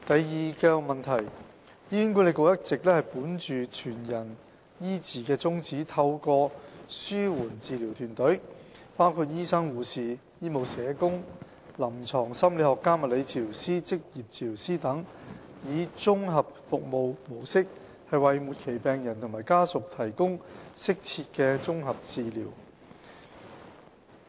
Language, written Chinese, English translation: Cantonese, 二醫管局一直本着"全人醫治"的宗旨，透過紓緩治療團隊，包括醫生、護士、醫務社工、臨床心理學家、物理治療師、職業治療師等，以綜合服務模式為末期病人和家屬提供適切的綜合紓緩治療。, 2 Upholding the principle of providing holistic care for patients HA offers appropriate comprehensive services to terminally ill patients and their families in an integrated service mode through palliative care teams comprising doctors nurses medical social workers clinical psychologists physiotherapists and occupational therapists